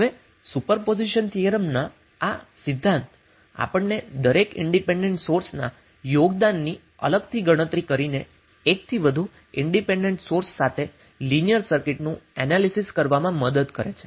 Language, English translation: Gujarati, Now this principle of super position theorem helps us to analyze a linear circuit with more than one independent source by calculating the contribution of each independent source separately